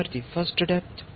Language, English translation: Telugu, Student: First depth